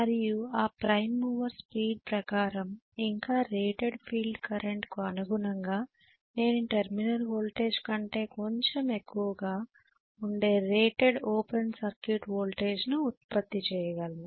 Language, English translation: Telugu, Right and corresponding to that prime mover speed and a rated field current I will be able to generate the rated open circuit voltage which will be slightly higher than the terminal voltage